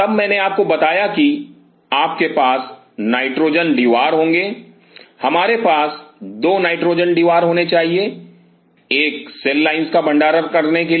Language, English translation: Hindi, Then I told you that you will be having a nitrogen deware, we should have 2 nitrogen dewars one 2 you know store the cell lines